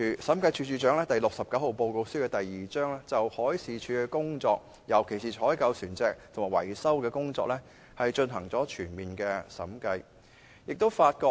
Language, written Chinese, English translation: Cantonese, 《審計署署長第六十九號報告書》第2章報告了審計署就海事處的工作，尤其是採購船隻及維修的工作，進行全面審計的結果。, Chapter 2 of the Director of Audits Report No . 69 presents the results of a full audit on the work of MD in particular procurement and maintenance of vessels